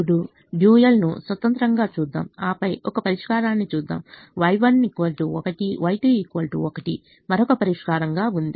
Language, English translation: Telugu, let us look at the dual independently and then let us look at a solution y one equal one, y two equal to one, as another solution